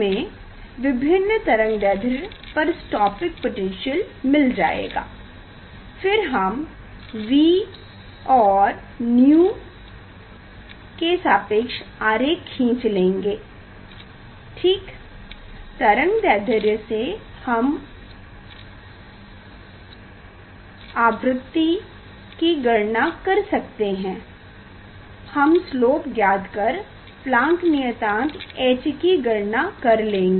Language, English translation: Hindi, we will get stopping voltage for different wavelength, then we will plot v verses frequency nu ok; from wavelength we can calculate nu frequency and we will find out the slopes and hence h Planck constant,